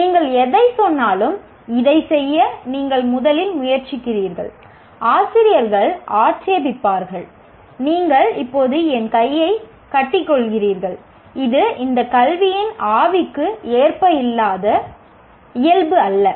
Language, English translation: Tamil, Anything that you say, you try to do this, the first thing is teachers will object, you are now tying my hand, that is not the nature, that is not as for the spirit of education